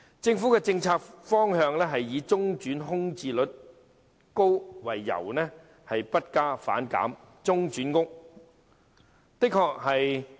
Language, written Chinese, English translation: Cantonese, 政府的政策方向是以中轉房屋空置率高為由，不加反減。, The policy direction of the Government is to reduce instead of expand the provision of interim housing for reason of high vacancy rate